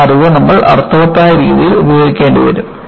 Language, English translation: Malayalam, You will have to utilize that knowledge in a meaningful fashion